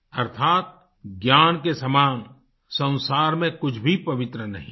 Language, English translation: Hindi, Meaning, there is nothing as sacred as knowledge in this world